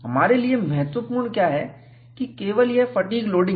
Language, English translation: Hindi, What is important to us is, only this fatigue loading